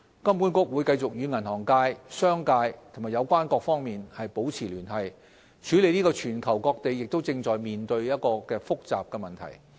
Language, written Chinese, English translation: Cantonese, 金管局會繼續與銀行界、商界和有關各方面保持聯繫，處理這個全球各地也正在面對的複雜問題。, HKMA will continue to work with the banking industry business community and relevant stakeholders to tackle this complex issue which confronts countries all over the world